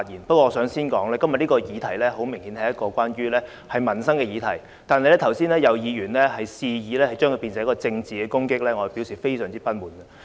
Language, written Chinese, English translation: Cantonese, 不過，我想先指出，今天這個議題很明顯是個民生議題，剛才有議員肆意偏離議題，發言旨在政治攻擊，我要表示非常不滿。, But first I wish to say that this subject today is obviously a livelihood issue . Just now some Member deliberately digressed from the subject and made a political attack at another Member . I have to express my dissatisfaction with such act